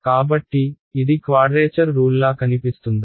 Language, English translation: Telugu, So, does this look like a quadrature rule